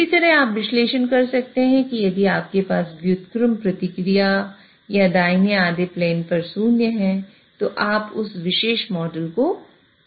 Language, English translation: Hindi, Similarly, you can do analysis that if you have an inverse response or a zero in the right half plane, again you cannot invert that particular model